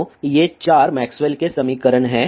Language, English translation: Hindi, So, these are 4 Maxwell's equations